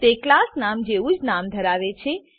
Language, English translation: Gujarati, It has the same name as the class name